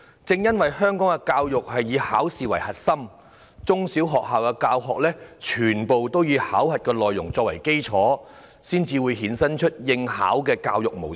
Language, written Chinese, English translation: Cantonese, 正因為香港的教育以考試為核心，中、小學校的教學都以考核內容作為基礎，才會衍生以應考為目標的教育模式。, It is precisely owing to Hong Kongs examination - oriented education system that secondary and primary schools have tailored their lessons around examination content which is what has given rise to a teaching - to - the - test education